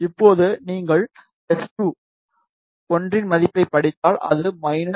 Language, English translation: Tamil, Now, if you read the value of S2, 1, it is minus 3